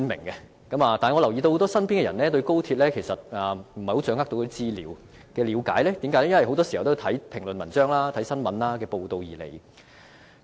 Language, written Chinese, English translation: Cantonese, 可是，我留意到身邊很多人未完全掌握廣深港高速鐵路的資料，因為很多時候他們的了解都是從閱讀評論文章及新聞報道而來。, However I notice that many people that I know cannot get the whole picture about the Guangzhou - Shenzhen - Hong Kong Express Rail Link XRL as they mainly understand the issue through reading commentaries and news reports